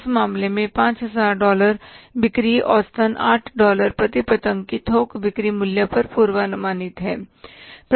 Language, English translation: Hindi, Sales are forecasted at an average wholesale selling price of the $8 per kite